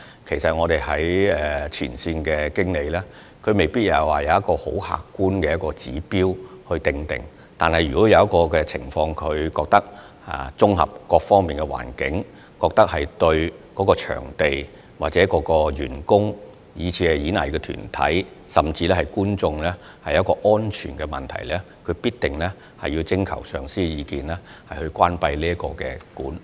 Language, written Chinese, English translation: Cantonese, 其實，前線經理未必有一套很客觀的指標去作決定，但如他們在綜合各方面的考慮後認為當時環境對場地或員工、藝團及觀眾構成安全問題，必定會就關閉場館徵求上司的意見。, In fact frontline managers may not have a set of objective indicators in making decisions . After taking various factors into account in a holistic manner if they consider that the circumstances would jeopardize the safety of the venue staff arts groups or audience they will definitely consult their supervisors about the closure of venues